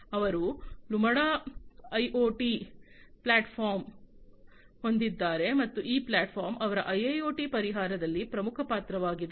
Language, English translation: Kannada, So, they have the Lumada IoT platform and this platform basically is the key driver in their IIoT solution